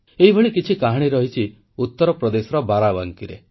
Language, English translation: Odia, A similar story comes across from Barabanki in Uttar Pradesh